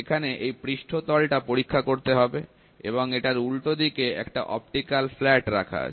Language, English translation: Bengali, So, surface to be tested is this one, and as against this, there is an optical flat which is placed